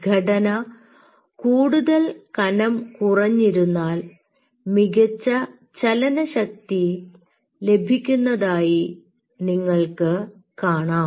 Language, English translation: Malayalam, thinner the structure, you will see much more better motion